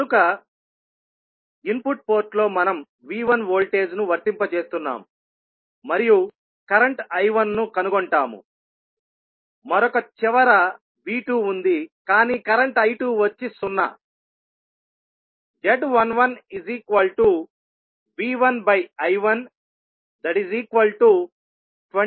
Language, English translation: Telugu, So, in the input port we are applying V1 voltage and we will find out the current I1, while at the other end V2 is there but current I2 is 0